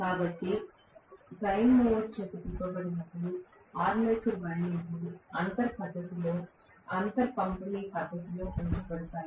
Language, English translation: Telugu, So, when that is rotated by the prime mover the armature windings which are placed in space distributed manner